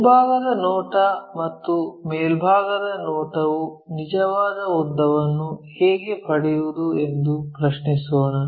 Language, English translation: Kannada, Let us ask a question, when front view and top view are not how to find true length